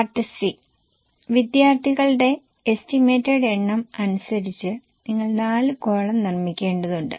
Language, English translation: Malayalam, And in Part C, as for the estimated number of students, you need to make four columns